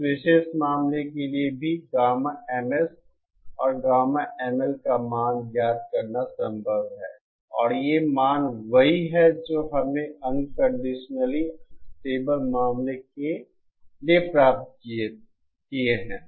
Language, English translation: Hindi, For this particular case also, it is possible to find the value of gamma MS and gamma ML and these values are same that we obtained for the unconditionally stable case